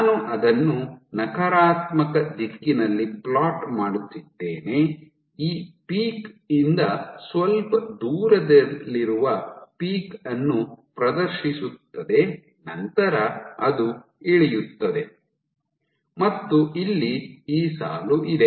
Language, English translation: Kannada, So, I am plotting it in negative direction exhibits a peak which is slightly off this peak then it drops and you have this line